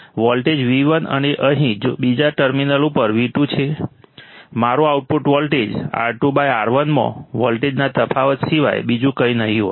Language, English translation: Gujarati, Voltage v1 and here, v2 at the another terminal, my output voltage would be nothing but the difference of the voltage into R2 by R1